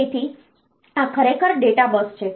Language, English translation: Gujarati, So, this is actually the data bus